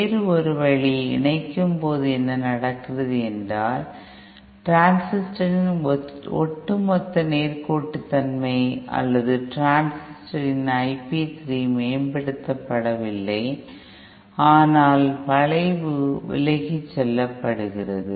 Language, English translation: Tamil, One other way in, what happens during combining is that the overall linearity of the transistor or I p 3 of the transistor is not improved, but just that the curve is shifted away